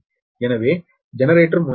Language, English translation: Tamil, so generator terminal voltage is also six point six k v